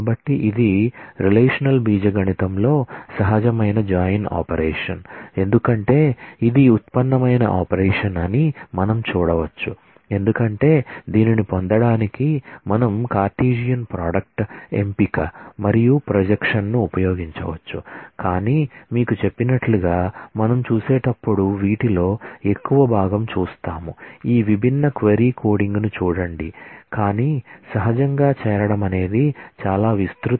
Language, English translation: Telugu, So, this is the natural join operation in relational algebra as you can see this is a derived operation because we could use the Cartesian product selection and projection to get this, but as I tell you we will see more of this when we look at the look at all these different aj query coding, but natural join is one of the most widely used most fundamental relational algebra operation that you will often need beyond selection and projection